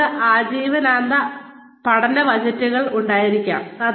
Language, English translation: Malayalam, They could have, lifelong learning budgets